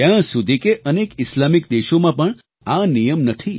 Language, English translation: Gujarati, Even in many Islamic countries this practice does not exist